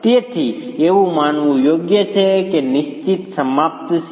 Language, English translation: Gujarati, So, it's correct to assume that it is fixed ended